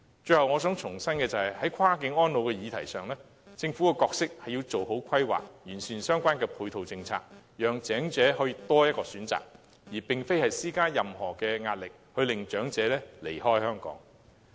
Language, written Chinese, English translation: Cantonese, 最後，我想重申，在跨境安老的議題上，政府的角色是要做好規劃，完善相關的配套政策，讓長者可以有多一個選擇，而非施加任何壓力，令長者離開香港。, Lastly I would like to reiterate that on the issue of cross - boundary elderly care the Governments role is to make good planning and improve the relevant complementary policies so as to give the elderly one more option instead of exerting any sort of pressure to drive elderly persons away from Hong Kong